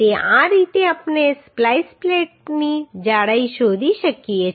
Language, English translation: Gujarati, So this is how we can find out the thickness of the splice plate